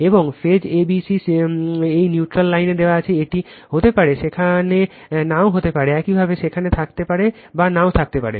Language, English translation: Bengali, And phase a b c is given this neutral dash line is given, it may be there may not be there you right may be there or may not be there